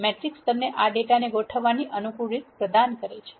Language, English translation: Gujarati, A matrix provides you a convenient way of organizing this data